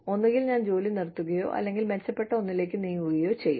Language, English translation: Malayalam, Either, you stop working, or, you move on to another organization